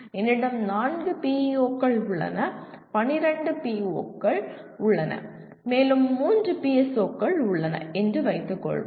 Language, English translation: Tamil, Let us assume I have four PEOs and there are 12 POs and let us assume there are three PSOs